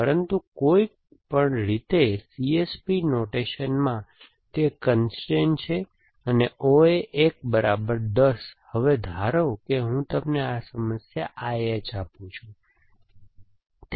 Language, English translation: Gujarati, But, anyway in the C S P notation, it is a constrain and O A 1 equal to 10, now supposing I give you this problem I H, what is it